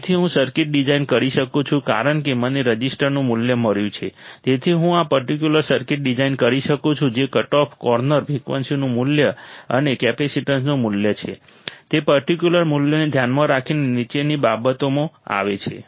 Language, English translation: Gujarati, So, I can design the circuit as I found the value of the resistors thus I can design this particular circuit which is shown in the bottom right given the particular values which is the value of the cutoff corner frequency and the value of the capacitance